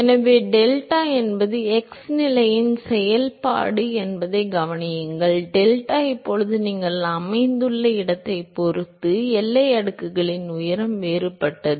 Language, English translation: Tamil, So, note that delta is the function of x position; delta is now function of the location depending upon where you are located the height of the boundary layer is different